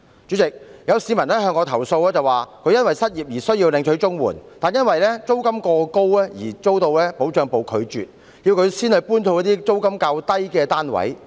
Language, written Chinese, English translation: Cantonese, 主席，有市民向我投訴，他因失業而要領取綜援，但他的申請因租金過高而被拒絕，還被要求遷往租金較低的單位。, President a member of the public complained to me that he wanted to apply for CSSA because he lost his job but his application was rejected owing to the excessively high rent he was paying and he was also asked to relocate to another flat with lower rent